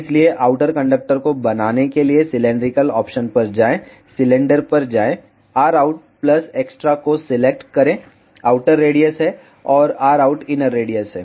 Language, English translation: Hindi, So, to make outer conductor go to cylindrical option go to cylinder select r out plus extra is outer radius, and r out is inner radius